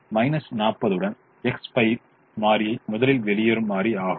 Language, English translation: Tamil, so the variable x five with the minus forty is the variable that leaves first